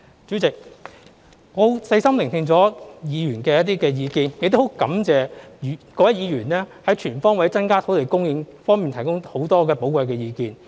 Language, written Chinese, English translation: Cantonese, 主席，我細心聆聽了議員的一些意見，亦感謝各位議員就"全方位增加土地供應"方面提供許多寶貴的意見。, President I have listened attentively to Honourable Members views and thank them for sharing of their valuable opinions about the motion on Increasing land supply on all fronts